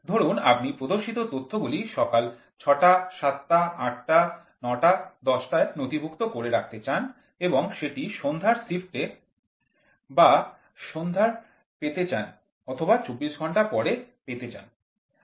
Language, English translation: Bengali, So, the shown data suppose if you want to record the data at 6 o clock in the morning, 7, 8, 9, 10 and this has to be given to you at the evening shift or at the evening hours or with working style for 24 hours